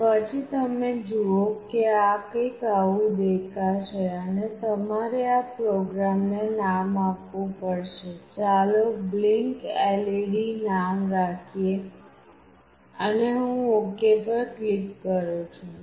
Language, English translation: Gujarati, And then you see that something like this will come up, and you have to give a name to this program, let us say blinkLED and I click ok